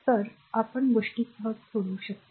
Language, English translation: Marathi, Then only we can we can solve things easily